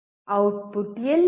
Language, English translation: Kannada, Where is the output